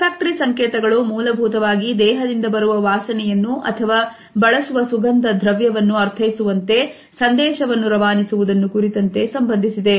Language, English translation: Kannada, Olfactory codes are basically related with the interpretation as well as the messages which we want to convey with the help of our odor, the smell which we wear on our body etcetera